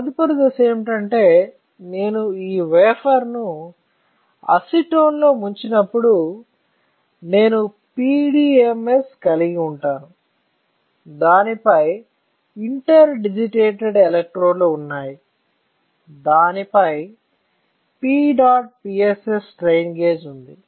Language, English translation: Telugu, The next step is, if I dip this wafer in acetone what will I have; I will have PDMS on which there are interdigitated electrodes, on which there is a P dot PSS strain gauge, right